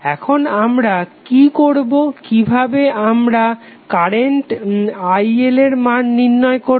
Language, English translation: Bengali, Now what we will, how we will calculate the value of current IL